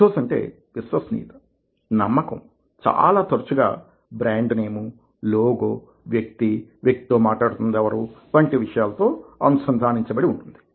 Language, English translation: Telugu, ethos is credibility, trust, and gets very often linked to brand name, logo, person with the person who is speaking and all kinds of things